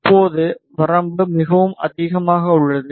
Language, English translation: Tamil, Now, the range is quite high